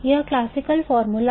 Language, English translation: Hindi, Now this is classical mechanical formula